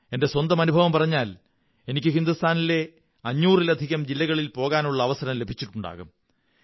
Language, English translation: Malayalam, This is my personal experience, I had a chance of visiting more than five hundred districts of India